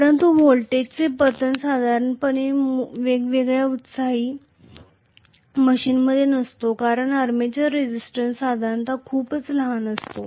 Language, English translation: Marathi, But the fall in the voltage is not much normally in a separately excited machine because the armature resistance happens to be generally very very small